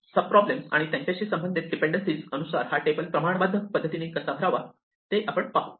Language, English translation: Marathi, We can also see if we can fill up this table iteratively by just examining the sub problems in terms of their dependencies